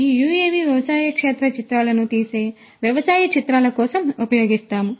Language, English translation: Telugu, This UAV we use for agro imagery taking images of agricultural field